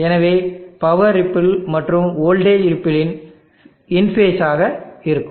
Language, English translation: Tamil, So the power ripple in the voltage ripple will be in phase